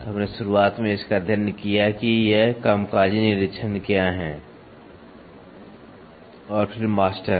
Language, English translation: Hindi, So, this we studied in the beginning what are these working inspection and then masters